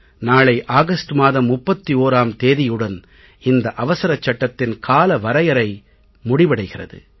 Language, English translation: Tamil, Tomorrow, on August 31st the deadline for this ordinance ends